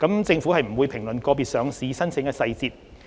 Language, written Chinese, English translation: Cantonese, 政府不會評論個別上市申請的細節。, The Government will not comment on the details of individual listing applications